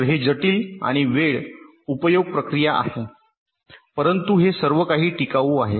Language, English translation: Marathi, so it is, ah, complex and time consuming process, but it is durable, all right